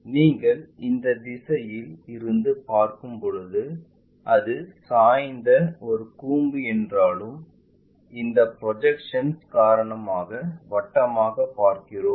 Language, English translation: Tamil, When you are looking from this direction though it is a cone which is inclined, but because of this projection we always see everything mapped to this circle